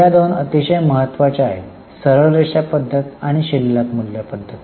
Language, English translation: Marathi, The first two are very important, the straight line and reducing balance